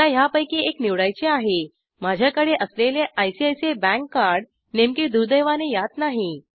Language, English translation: Marathi, I need to choose one of these, unfortunately the card that i have namely ICICI bank card is not here